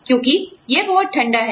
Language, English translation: Hindi, Because, it is so cold